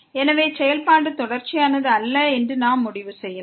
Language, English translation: Tamil, So, in this case the function is not continuous